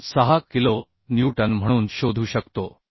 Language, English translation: Marathi, 26 kilo Newton